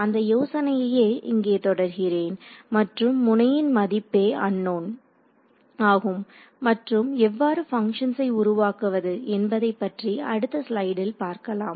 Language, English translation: Tamil, I can continue that idea here and say nodes right nodes are the node values are unknowns and we will see in the next slide how to construct the shape functions